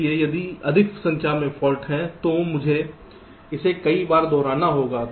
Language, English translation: Hindi, so if there are more number of faults i have to repeat this multiple times